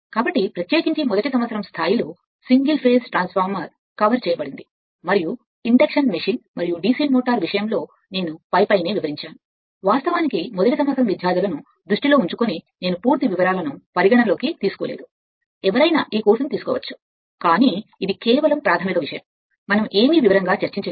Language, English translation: Telugu, So, particularly at the first year level that is a single phase transformer ha[s] has been covered right and induction machine and DC motor just just just, I have touched, I have not gone through the details considering that, you you may be in the first year right or anybody can take this course, but it is just basic thing, we have discussed right not nothing is in detail